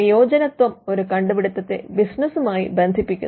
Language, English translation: Malayalam, Utility connects the invention to the to business